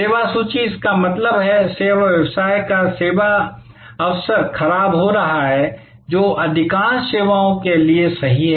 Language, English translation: Hindi, Service inventory; that means, the service opportunity of the service vocation is perishable, which is true for most services